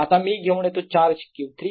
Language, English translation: Marathi, next let's bring in charge q four